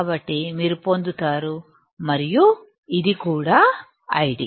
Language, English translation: Telugu, So, you get and this is also I D